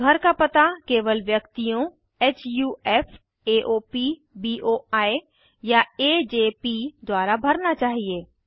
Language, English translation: Hindi, Residential address should be filled only by Individuals, HUF, AOP, BOI or AJP